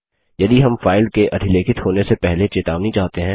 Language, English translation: Hindi, If we want our warning before the file is overwritten